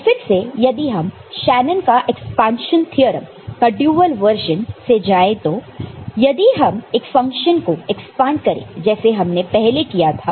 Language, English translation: Hindi, So, again if you go by the dual of the Shanon’s expansion theorem the one that we had ok, so if you expand the function that we had earlier, this one, that we just used